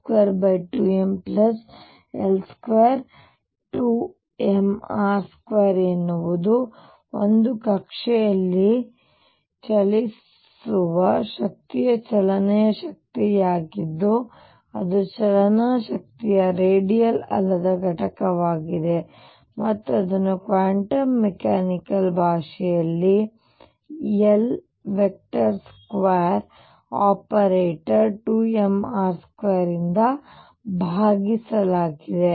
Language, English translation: Kannada, So, L square over 2 m r square is the kinetic energy of a particle going around in an orbit the non radial component of the kinetic energy and that rightly is expressed in the quantum mechanical language as L square operator divided by 2m r square